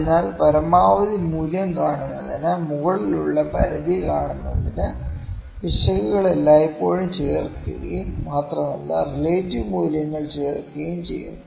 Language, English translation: Malayalam, So, to see the maximum value to see the upper bound, the errors are always added and moreover the absolute values are added